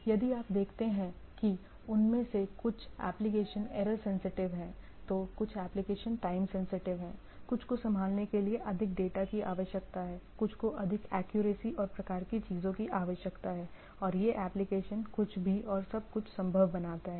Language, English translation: Hindi, The some of the applications if you see they are pretty sensitive on error, some of the applications are pretty sensitive on time, some needs more data to be handled, some needs more accuracy and type of things, and this application form anything and everything feasible for our from day to day life to scientific application and so and so forth right